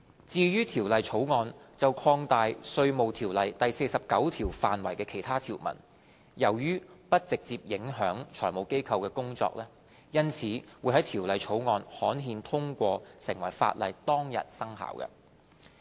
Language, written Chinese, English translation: Cantonese, 至於《條例草案》就擴大《稅務條例》第49條範圍的其他條文，由於不直接影響財務機構的工作，因此會在《條例草案》刊憲通過成為法例當日生效。, As for other clauses of the Bill which seek to expand the the scope of section 49 of IRO given that they will not have direct impact on the work of FIs they will come into operation upon the date of gazettal of the Bill after its enactment